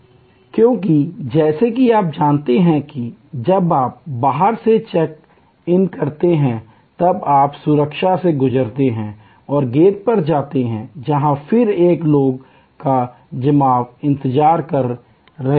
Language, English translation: Hindi, Because, as you know after you check in outside then you go through security and go to the gate, where again there is a pooling people are waiting